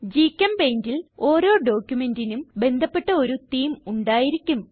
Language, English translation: Malayalam, In GchemPaint, each document has an associated theme